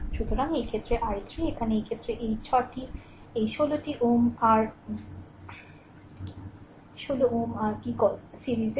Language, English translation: Bengali, So, i 3 in this case, here in this case this 6 this 16 ohm your what you call is in series